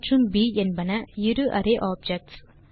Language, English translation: Tamil, A and B are two array objects